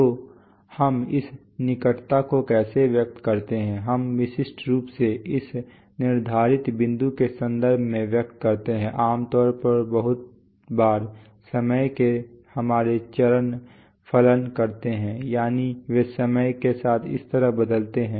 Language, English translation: Hindi, So how do we express this closeness, we express it in terms of, typically this set point, generally very often our step functions of time, that is they change over time like this